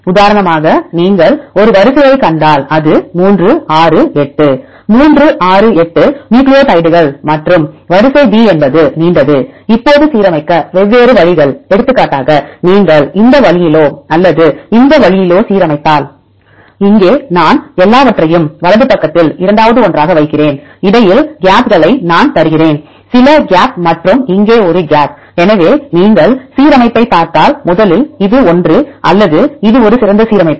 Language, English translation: Tamil, For example if you see a sequence a, this is a sequence a 3 6 8; 3 6 8 nucleotides and the sequence b is a longer one; now different ways to align, for example, if you align this way or this way; here I put together everything on the right side second one; I give gaps in between here is some gap and here is a gap